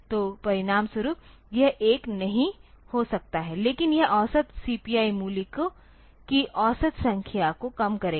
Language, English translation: Hindi, So, that as a result it cannot be 1, but it is it will reduce the average number of average CPI value